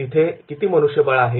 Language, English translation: Marathi, What is the man power there